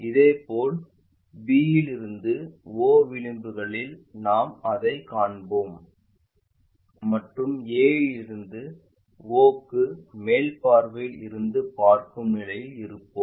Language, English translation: Tamil, Similarly, b to o edge we will see that and a to o we will be in a position to see it from the top view